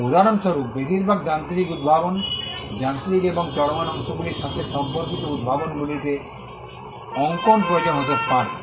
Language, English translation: Bengali, For instance, most mechanical inventions, inventions involving mechanical and moving parts, may require drawings